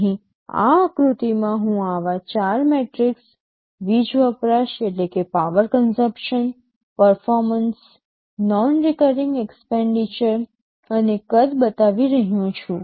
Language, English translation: Gujarati, Here in this diagram, I am showing four such metrics, power consumption, performance, non recurring expenditure, and size